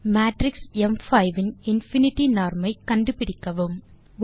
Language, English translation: Tamil, Find out the infinity norm of the matrix im5